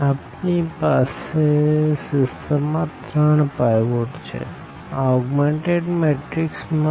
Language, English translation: Gujarati, We have three pivots in our in our system here in our matrix in our this augmented matrix